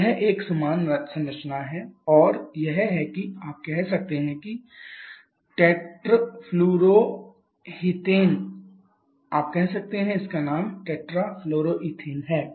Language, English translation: Hindi, So, it is an even structure and it is you can say tetra fluro ethane you can say the name of this one is tetra fluro ethane right